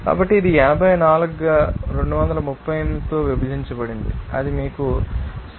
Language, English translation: Telugu, So, it would be coming as 84 divided by 238 then it will give you 0